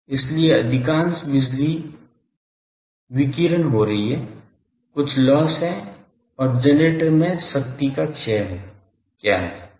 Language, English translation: Hindi, So, most of the power is being radiated obviously, some loss is there and what is power dissipated in the generator